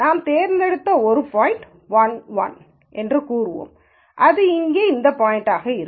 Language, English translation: Tamil, So, let us say one point that we have chosen is 1 1, so which would be this point here